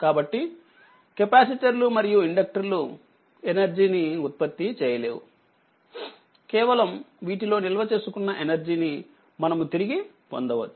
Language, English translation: Telugu, So, capacitors and inductors do not generate energy only the energy that has been put into these elements and can be extracted right